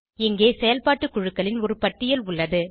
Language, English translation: Tamil, A list of functional groups is available here